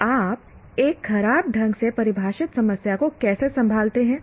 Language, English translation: Hindi, So how do you handle an ill defined problem